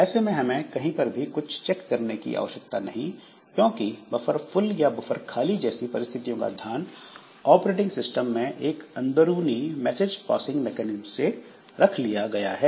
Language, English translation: Hindi, So we don't have to do anything, any pointer check or anything like that because the buffer full or buffer empty conditions are taken care of by the underlying message passing mechanism that the operating system supports